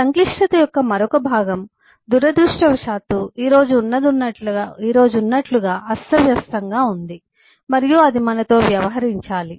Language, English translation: Telugu, the other part of the complexity, unfortunately, as it stands today, is disorganized and that has to deal with us